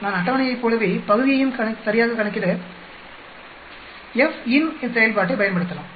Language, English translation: Tamil, I can use the FINV function to calculate the value exactly the area exactly just like the table